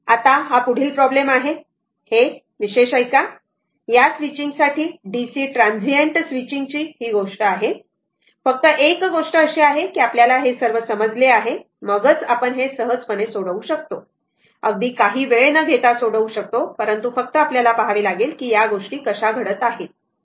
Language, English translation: Marathi, Now, next is this problem listen this particular the switching that dc transient the switching thing, only thing is that you are we are all understanding has be very clear then only you one can easily solve it in no time you can solve it, but just one has to see that how things are happening